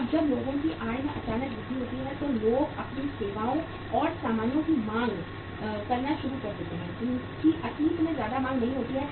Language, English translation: Hindi, Now when there is a sudden increase in the income of the people, people start demanding for even both services and goods which are not demanded much in the past